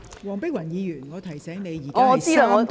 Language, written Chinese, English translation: Cantonese, 黃碧雲議員，我提醒你，本會現正進行三讀辯論......, Dr Helena WONG I remind you that Council is debating the Third Reading